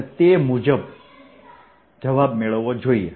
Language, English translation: Gujarati, that should give me the answer